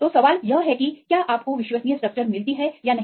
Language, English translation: Hindi, So, the question is whether you get the reliable structure or not